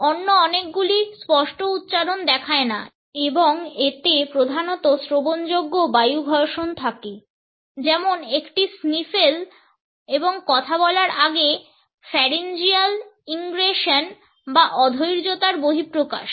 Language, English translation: Bengali, Many other show no clear articulation and consists mainly of audible air frictions such as a sniffle a pre speech pharyngeal ingression or an egression of impatience